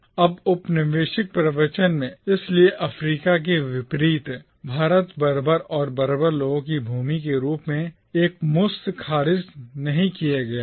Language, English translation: Hindi, Now in the colonial discourse, therefore, India unlike Africa was not outright dismissed as land of barbarians and savages